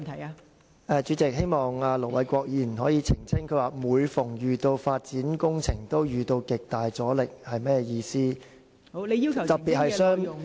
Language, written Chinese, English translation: Cantonese, 代理主席，盧偉國議員剛才說："每逢有發展項目，均會遇到極大阻力"，這句話是甚麼意思呢？, Deputy President what did Ir Dr LO Wai - kwok mean when he said every development project is met with great resistance?